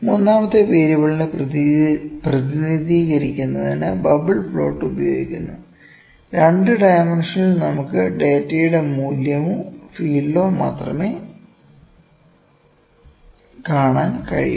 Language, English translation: Malayalam, And, the certain other ways to represent the third variable bubble plot is one that in 2 dimensions we can just see the value of or the field of the data here